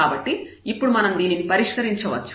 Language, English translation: Telugu, So, now, we can solve this